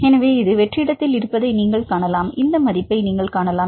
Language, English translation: Tamil, So, you can see it is in the vacuum; you can see this value